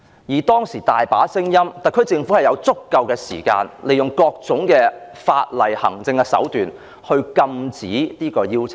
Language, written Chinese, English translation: Cantonese, 其實，特區政府本有足夠時間，利用各種法例及行政手段，禁止這項邀請。, In fact the SAR Government should have sufficient time to stop the invitation by way of legislation and administrative means